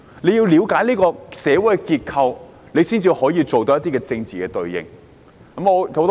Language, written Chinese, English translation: Cantonese, 她要了解社會的結構，才能作出政治的應對。, She must learn the structure of society before being able to make a political response